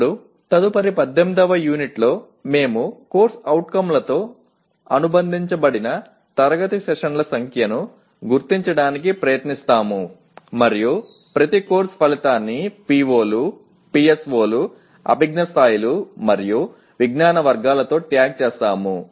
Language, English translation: Telugu, Now in the next Unit 18 we will try to identify the number of class sessions associated with COs and tag each course outcome with the POs, PSOs, cognitive levels and knowledge categories addressed